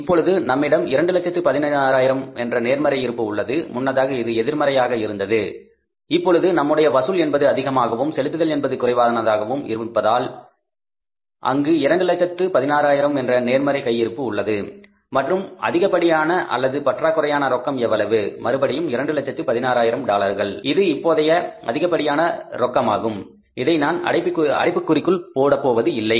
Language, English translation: Tamil, Now our collections are more and our payments are less so there is a positive balance of $216,000 and excess or deficit of the cash right excess or deficit of the cash is how much again this is the $216,000 this is excess of the cash now I am not putting it in the bracket earlier it was a deficit so we are putting it in the bracket now it is a surplus positive figure so it is 216,000 I have put it in the open without bracket